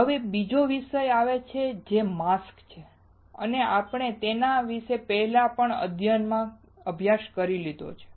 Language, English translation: Gujarati, Now, comes another topic which is mask and we have already studied about it